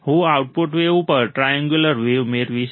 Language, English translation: Gujarati, I will get the triangular wave at the output